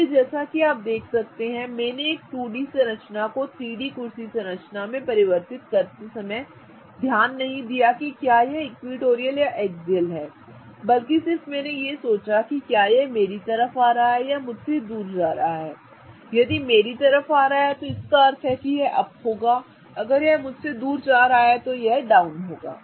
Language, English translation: Hindi, So, as you can see that I did not pay attention while converting a 2D structure to a 3D chair structure I did not pay attention to whether it was equatorial or axial but rather I kept on thinking whether it is coming towards me or going away from me and coming towards me meaning it is up going away from me meaning it is down